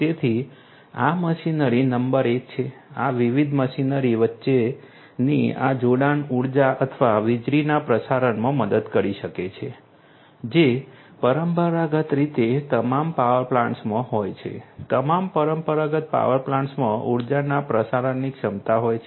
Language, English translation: Gujarati, So, these machinery number one is this connectivity between these different machinery can help in the transmission, transmission of energy or electricity which is they are traditionally in all power plants all the traditional power plants have the capability of transmission of energy